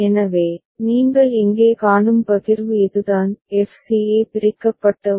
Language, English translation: Tamil, So, this is the partition what you see here; f c a that has been separated out